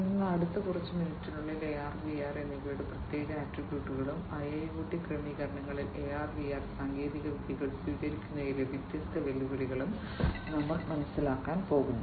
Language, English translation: Malayalam, So, in the next few minutes, we are going to understand the specific attributes of AR and VR and the different challenges, that are there in the adoption of AR and VR technologies in IIoT settings